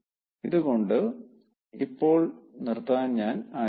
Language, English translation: Malayalam, with these i like to stop for now